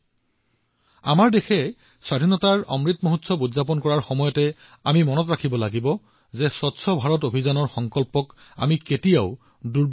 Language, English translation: Assamese, Today, when our country is celebrating the Amrit Mahotsav of Independence, we have to remember that we should never let the resolve of the Swachh Bharat Abhiyan diminish